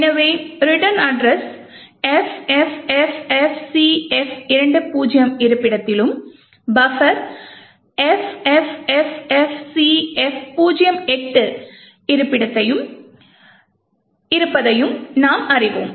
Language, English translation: Tamil, So, we know that the return address is present at the location FFFFCF20 and the buffer is present at this location FFFF CF08